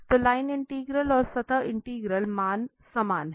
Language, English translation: Hindi, So, the line integral and the surface integral, the value is the same